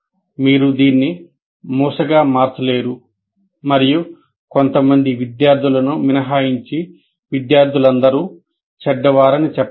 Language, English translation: Telugu, You cannot make it stereotype and say, anyway, all students are bad, with the exception of a few students